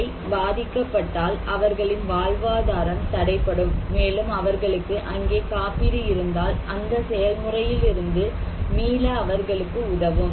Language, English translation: Tamil, Because if they are impacted, their livelihood would be hampered, and if they have insurance back there that can help them to recover from that process